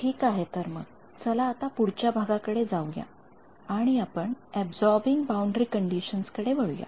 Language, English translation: Marathi, Alright so, now, let us move on the next module and we will look at is Absorbing Boundary Conditions ok